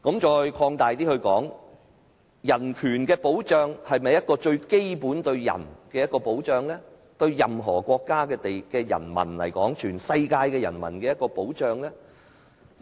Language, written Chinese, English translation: Cantonese, 再擴大一點來說，人權的保障是否對人最基本的保障，是對任何國家的人民和全世界的人民的保障？, It should be acceptable and worthy of support . To put it more widely is protection of human rights the most fundamental protection for people? . Is it protection for the people of any country and for everyone on the world?